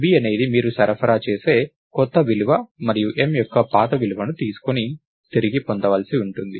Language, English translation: Telugu, So, v is the new value that you supply, and the old value of m is supposed to be retrieved